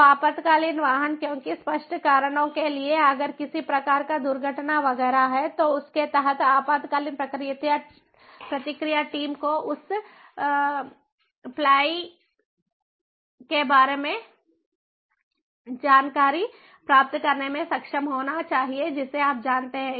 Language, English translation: Hindi, so emergency vehicles, because, for obvious reasons, if there is some kind of an accident, etcetera, etcetera, under that the emergency response team should be able to get information on the fly, you know